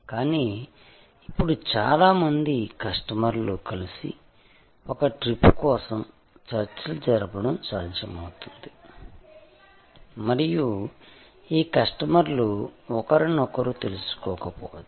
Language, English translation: Telugu, But, it is possible now for number of customers can come together and negotiate for a trip and these customers may not even have known each other